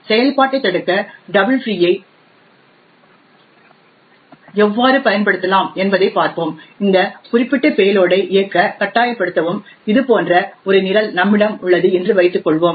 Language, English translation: Tamil, So let us see how a double free can be used to subvert execution and force this particular payload to execute, let us assume we have a program that looks something like this